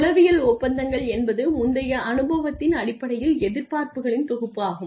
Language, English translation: Tamil, Psychological contracts which is the set of expectations based on prior experience